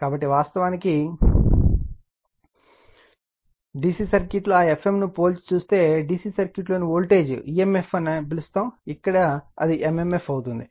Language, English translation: Telugu, So, actually in the DC circuit, if you compare that F m actually like your what you call the voltage in DC circuit emf right, here it is m m f